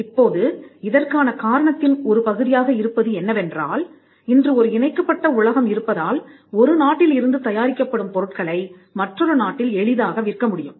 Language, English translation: Tamil, Now, part of this is due to the fact that today we have a connected world where things manufactured from one country can easily be sold in another country